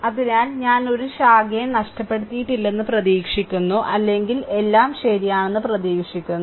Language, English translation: Malayalam, So, hope I have not missed any branch or anything hope everything is correct I believe right